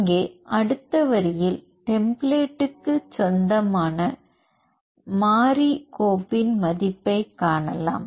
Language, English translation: Tamil, So, here in the next line if you see the value to the variable file, that is belongs to the template